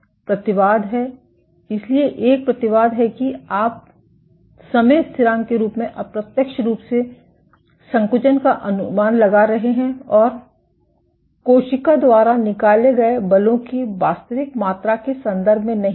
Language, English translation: Hindi, The caveat is, so one of the caveats is you are estimating contractility indirectly in terms of time constants and not in terms of actual amount of forces exerted by the cells